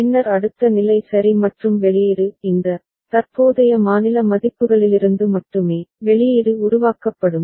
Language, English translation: Tamil, And then next state ok and the output; output will be generated solely from this present state values right